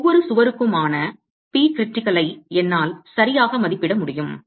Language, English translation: Tamil, I will be able to estimate the P critical for each wall